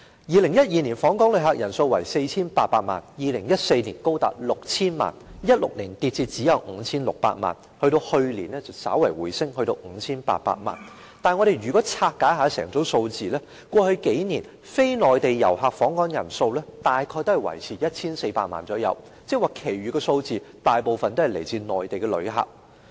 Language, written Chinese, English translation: Cantonese, 2012年的訪港旅客人數是 4,800 萬人次 ，2014 年高達 6,000 萬人次 ，2016 年下跌至只有 5,600 萬人次，去年稍為回升至 5,800 萬人次，但如果我們拆解整組數字，便會發現過去數年非內地遊客訪港人數大約維持在 1,400 萬人次，即是說其餘的數字大部分是來自內地的旅客。, It then dropped to 15.8 % before a slight rebound last year . The number of inbound visitors amounted to 48 million in 2012 and 60 million in 2014 then dropped to 56 million in 2016 before bouncing back slightly to 58 million last year . If we look at the breakdown however we will find that the number of non - Mainland inbound visitors has remained at about 14 million in the past few years which means that most of the remainder were visitors from the Mainland